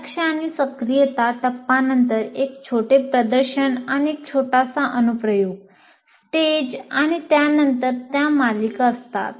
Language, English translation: Marathi, After the attention and activation, you have a small demonstration and a small application and you keep doing that a series of them